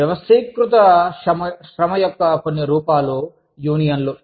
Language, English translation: Telugu, Some forms of organized labor are unions